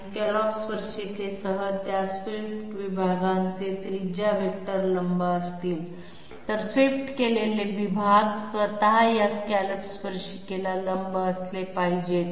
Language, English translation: Marathi, While the radius vectors of those swept sections with the scallop tangent will be perpendicular, the swept sections themselves do not have to be perpendicular to this scallop tangent